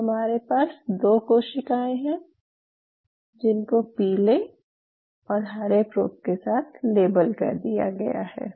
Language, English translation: Hindi, So now I have 2 cells which are now labeled with 2 fluorescent probes, yellow and the green, right